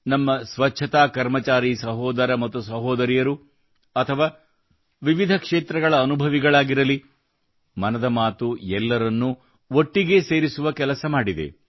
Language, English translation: Kannada, Be it sanitation personnel brothers and sisters or veterans from myriad sectors, 'Mann Ki Baat' has striven to bring everyone together